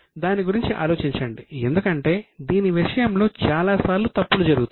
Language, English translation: Telugu, Just think over it because many times mistakes happen